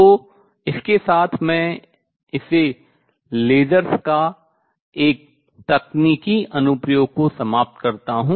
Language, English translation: Hindi, So, with this I conclude this a technological application of lasers